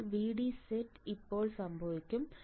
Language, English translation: Malayalam, So, when VD set will occur